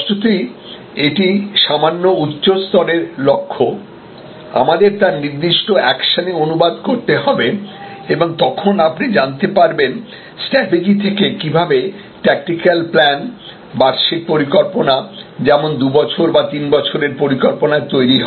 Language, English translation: Bengali, Now; obviously, this is a little higher level goal, we have to translate that into specific actions and that is when you know your strategy leads to a tactical plan, an annual plan, a 2 years plan or a 3 years plan and so on